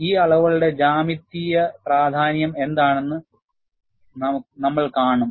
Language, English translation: Malayalam, And we will also see, what is a geometric representation of these quantities